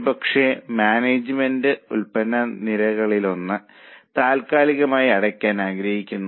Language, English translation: Malayalam, So, management perhaps want to close one of the product lines